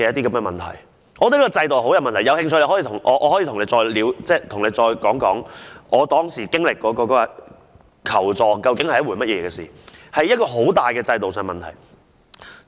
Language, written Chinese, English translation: Cantonese, 我覺得這個制度很有問題，大家有興趣的話，我可以再次講述當時經歷求助究竟是甚麼一回事，這是制度上一個很大的問題。, I find this institution flaw very serious . If Members are interest in that I can give a more detail account of that incident . It was really a big institutional flaw